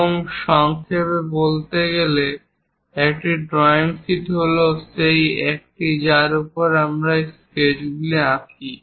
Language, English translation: Bengali, And to summarize, a drawing sheet is the one on which we draw these sketches